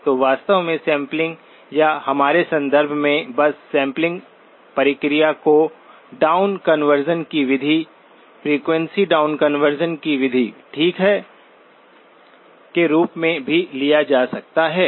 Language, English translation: Hindi, So actually bandpass sampling or in our context, just the sampling process can also be leveraged as a method of down conversion, method of frequency down conversion, okay